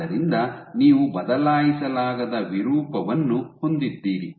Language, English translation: Kannada, So, you have irreversible deformation